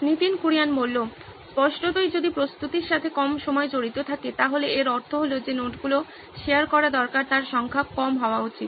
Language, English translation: Bengali, Obviously if there is less time involved in preparation, then it means that the number of notes that need to be shared should be less